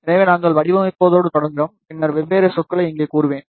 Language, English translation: Tamil, So, we will start with the design, and then I will tell you the different terms over here